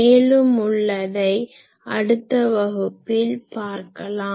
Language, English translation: Tamil, So, we will continue this discussion in the next class